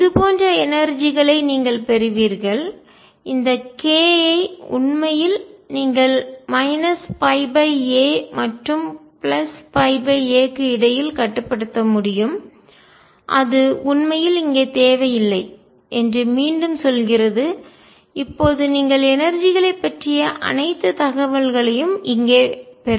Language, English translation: Tamil, You will get energies which are like this; which again tells you that k actually you can restrict between the minus pi by a and pi by a and does not really matter, you get all the information about energies right here